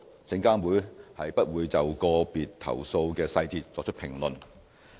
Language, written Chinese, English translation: Cantonese, 證監會不會就個別投訴的細節作出評論。, SFC would not comment on details of individual complaints